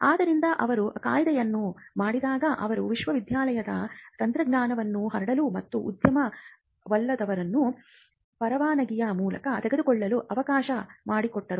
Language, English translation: Kannada, So, when they came up with the Act, they allowed university technology to be diffused into and taken up by the industry